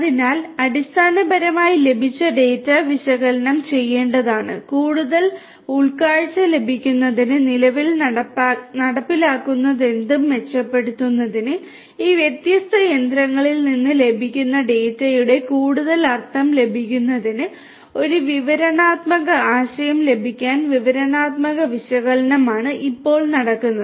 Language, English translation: Malayalam, So, basically the data that are derived that data that are received will have to be analyzed in order to basically you know improve whatever is being executed at present to get more insight, to get more meaning of the data that is being received from this different machinery to get a descriptive idea of what is going on at present that is descriptive analytics